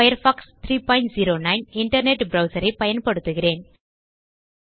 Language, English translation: Tamil, I am using Firefox 3.09 internet browser